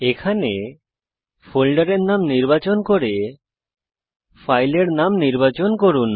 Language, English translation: Bengali, Select the folder name here, select the file name